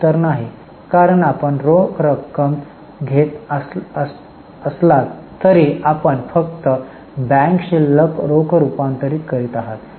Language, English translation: Marathi, The answer is no because though you are receiving cash, you are just converting bank balance into cash